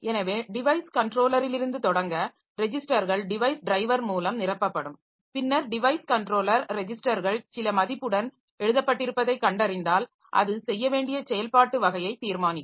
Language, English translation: Tamil, So, to start with the device controllers, registers will be filled up by the device driver and then the device controller when it finds that the registers have been written with some value, it will determine the type of operation to be done